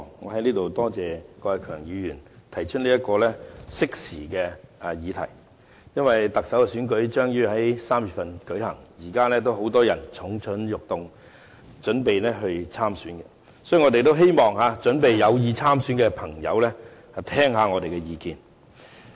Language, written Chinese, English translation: Cantonese, 我在此多謝郭偉强議員提出這項適時的議題，因為特首選舉將於3月舉行，現時有很多人蠢蠢欲動，準備參選，所以我們希望有意參選的朋友聆聽我們的意見。, I thank Mr KWOK Wai - keung for bringing out such a timely subject as the Chief Executive Election is upcoming in March and many people are ready and waiting to run . So we hope the potential candidates can listen to our opinions